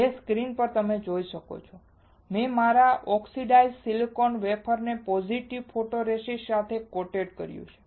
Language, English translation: Gujarati, On the screen you can see, I have coated my oxidised silicone wafer with a positive photoresist